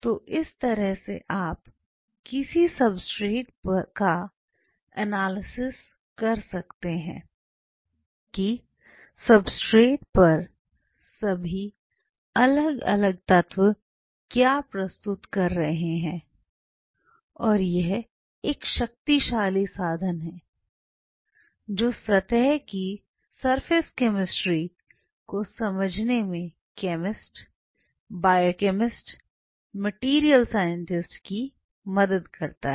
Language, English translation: Hindi, So, this is how you analyse a substrate that what all different elements which are presenting on a substrate and this is one powerful tool which help chemist, biochemist, material scientist everybody to understand the surface chemistry